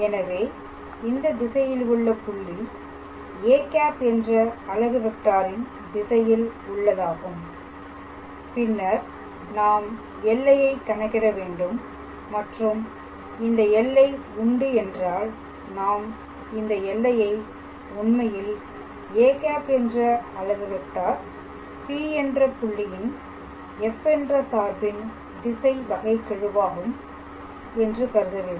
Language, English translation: Tamil, So, it is a point in the direction of in the direction of a unit vector a cap and then we calculate this limit and if this limit exists, then we say that the then we say that this limit is actually the directional derivative is the directional derivative of the function f at the point P in the direction of a cap, alright